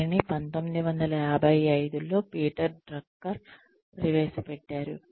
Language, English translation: Telugu, This was introduced by Peter Drucker in 1955